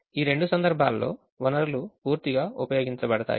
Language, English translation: Telugu, in these two cases the resources are fully utilized